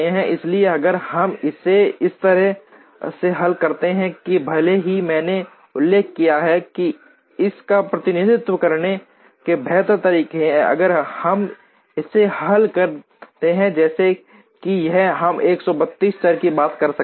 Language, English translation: Hindi, So, if we solve it this way even though as I mentioned there are better ways of representing this, if we solve it as it is we are talking of 132 variables